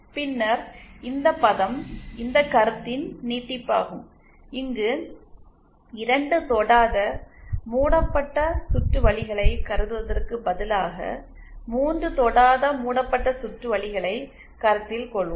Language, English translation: Tamil, And then this term is an extension of this concept where instead of considering 2 non touching loops, we will be considering 3 non touching loops and so on